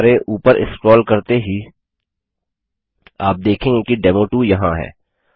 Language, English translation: Hindi, We scroll up as you can see here is demo2